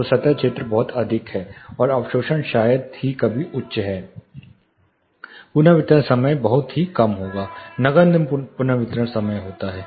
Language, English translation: Hindi, So, the surface area is very high and the absorption is rarely high, the reverberation time will be very low, negligible reverberation time